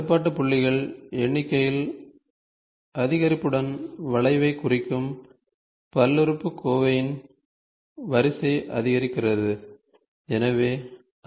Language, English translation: Tamil, With an increase in number of control points, the order of the polynomial representing the curve increases